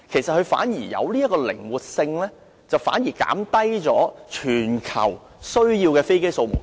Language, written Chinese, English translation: Cantonese, 這樣反而有靈活性，減低全球所需的飛機總數。, This will enhance flexibility which helps to reduce the total number of aircraft globally